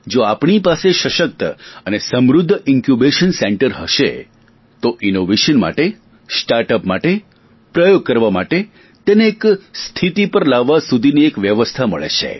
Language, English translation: Gujarati, If we have strong and wellequipped Incubation Centres, a system comes into place for innovations, for startups, for experimentation and to bring these efforts to a certain level